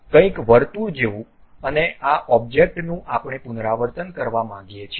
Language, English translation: Gujarati, Something like circle and this object we want to repeat it